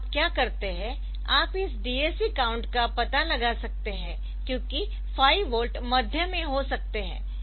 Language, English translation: Hindi, So, what you do is you can you can find out the corresponding DAC count because 5 volt will be at the may at the middle